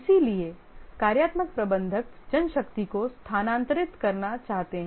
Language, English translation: Hindi, So, the functional manager would like to shift manpower